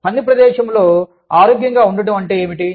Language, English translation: Telugu, What does it mean, to be healthy, in the workplace